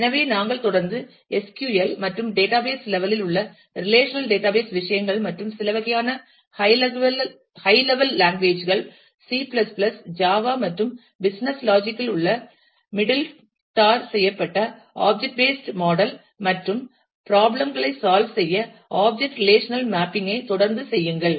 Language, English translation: Tamil, So, we continue to work with SQL, and the relational database kind of things in the database level, and some kind of a high level language like, C++, java and the object based model in the middle tarred in the in the business logic, and continue to do the object relational mapping for solving the problems